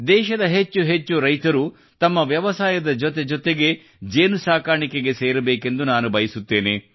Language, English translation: Kannada, I wish more and more farmers of our country to join bee farming along with their farming